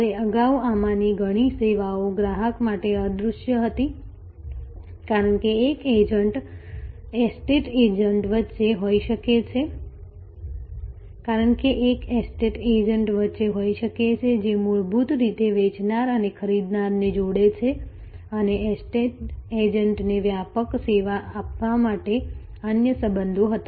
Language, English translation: Gujarati, Now, earlier many of these services were often invisible to the customer, because there might have been in between an estate agent, who basically connected the seller and the buyer and the estate agent had other relationships to give a comprehensive service